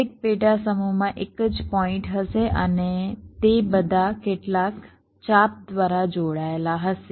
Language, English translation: Gujarati, each subset will consist of a single point and they will be all connected by some arcs